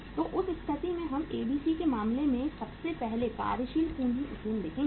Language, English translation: Hindi, So in that case we will see first of all the working capital leverage in case of ABC